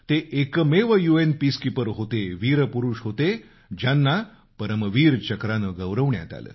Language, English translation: Marathi, He was the only UN peacekeeper, a braveheart, who was awarded the Param Veer Chakra